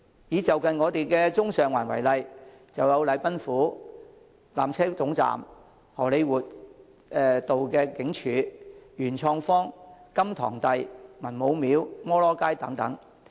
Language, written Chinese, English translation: Cantonese, 以就近的中環、上環為例，便有禮賓府、纜車總站、荷李活道警署、元創方、甘棠第、文武廟、摩羅街等。, For example in the areas of Central and Sheung Wan around us we have the Government House the Peak Tram Lower Terminus the Central Police Station Compound in Hollywood Road PMQ Kom Tong Hall Man Mo Temple Cat Street and so on